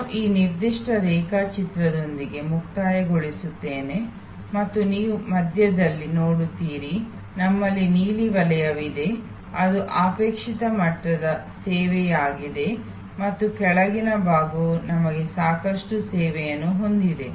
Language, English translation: Kannada, I will conclude with this particular diagram and you see in the middle, we have the blue zone which is that desired level of service and a lower part we have adequate service